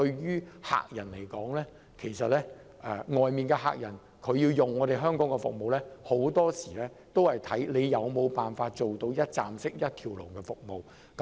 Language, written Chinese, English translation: Cantonese, 如要吸引海外的客戶使用香港服務，很多時候須視乎政府能否提供一站式的一條龍服務。, To attract overseas clients to use the services in Hong Kong it very often depends on whether the Government can figure out ways to provide one - stop integrated services